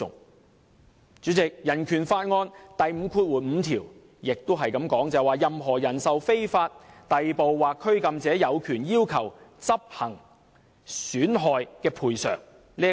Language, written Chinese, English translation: Cantonese, 代理主席，香港人權法案第五五條亦指出："任何人受非法逮捕或拘禁者，有權要求執行損害賠償。, Deputy Chairman Article 55 of the Hong Kong Bill of Rights also states that Anyone who has been the victim of unlawful arrest or detention shall have an enforceable right to compensation